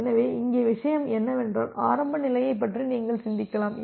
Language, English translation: Tamil, So, here the thing is that this you can think of the initial state